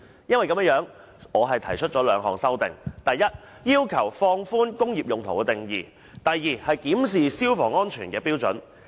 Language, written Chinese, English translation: Cantonese, 我為此提出兩項修訂，第一，要求放寬"工業用途"的定義；第二，檢視消防安全的標準。, In this connection I have two proposals in my amendment . First I request the Government to relax the definition of industrial use; and second to review the fire safety standard